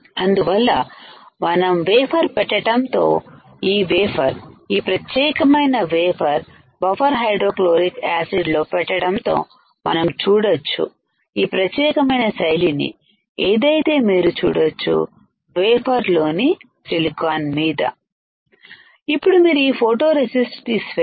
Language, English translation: Telugu, So, we are placing the wafer this wafer, this particular wafer into buffer hydrofluoric acid and we will see this particular pattern which is you can see the silicon in the wafer